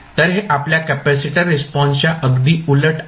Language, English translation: Marathi, So, this is just opposite to our response capacitor response